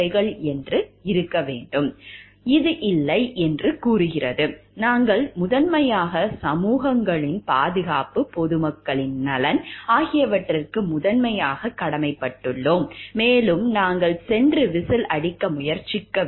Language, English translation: Tamil, Which tells no, our, we are primarily duty bound towards the societies protection at large, the welfare of the public at large and we should go and try to whistle blow